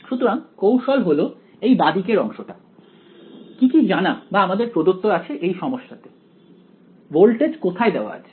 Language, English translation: Bengali, So, the hint is the left hand side, what is known or rather what is given to you in the problem where is the voltage given